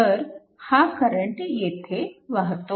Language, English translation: Marathi, So this is the current flowing